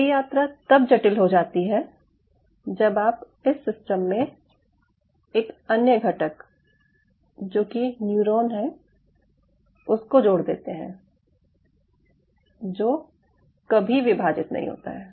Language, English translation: Hindi, ok, so this journey becomes complicated when you are adding into the system another component which is a neuron which never divides